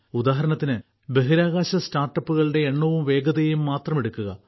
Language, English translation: Malayalam, For example, take just the number and speed of space startups